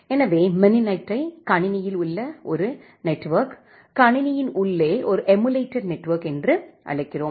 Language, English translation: Tamil, So, we call mininet as a network inside the computer, a emulated network inside the computer